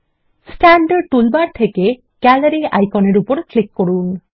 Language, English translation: Bengali, Click on the Gallery icon in the standard toolbar